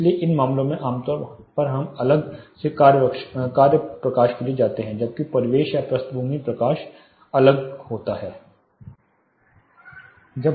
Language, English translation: Hindi, So, in these cases typically we go for task lighting separately whereas the ambient or background lighting separately